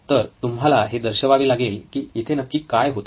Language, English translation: Marathi, So you have to highlight why is this happening